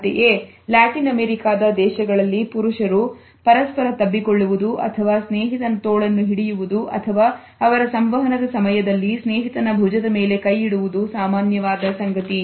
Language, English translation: Kannada, Similarly, we find that in Latin American countries it is common for men to hug each other or grab the arm of a friend or place their hand on the shoulder of a friend during their communication